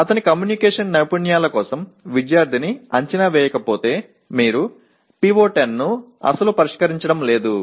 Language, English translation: Telugu, If you are not evaluating the student for his communication skills then you are not addressing PO10 at all